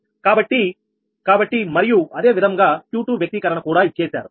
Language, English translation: Telugu, and similarly, q two expression was also given